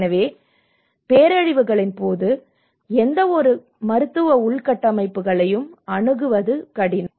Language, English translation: Tamil, So in the time of disasters, even access to that kind of medical infrastructures also becomes difficult